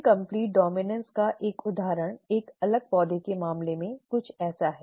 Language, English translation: Hindi, An example of incomplete dominance is something like this in the case of a different plant